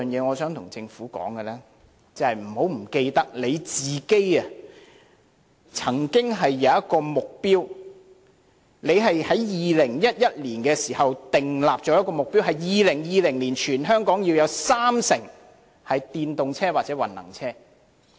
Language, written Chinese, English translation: Cantonese, 我想跟政府說的第三點是，請不要忘記政府曾有一個目標，政府在2011年時曾訂立一個目標：在2020年，全香港要有三成汽車是電動車或混能車。, The third point that I would like to tell the Government is Please do not forget that the Government has a target . In 2011 the Government set a target that by 2020 30 % of the vehicles in Hong Kong have to be either electric or hybrid vehicles